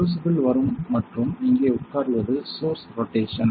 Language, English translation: Tamil, The crucibles will come and sit here this is source rotation